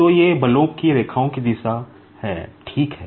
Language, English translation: Hindi, So, these are the direction of lines of forces, ok